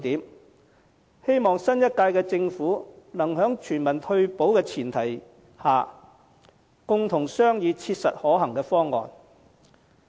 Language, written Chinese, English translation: Cantonese, 我希望新一屆政府能在全民退保的大前提下，共同商議切實可行的方案。, I hope the new - term Government will work out a practicable option on the premise of universal retirement protection together